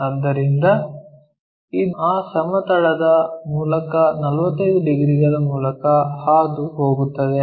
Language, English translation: Kannada, So, this one goes via 45 degrees through that plane